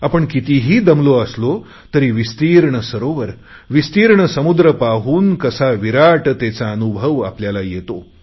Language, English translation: Marathi, No matter how tired we are; when we see a large lake or an ocean, how magnificent that sight is